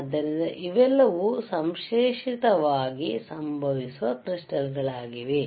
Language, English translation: Kannada, So, these are all synthetically occurring crystals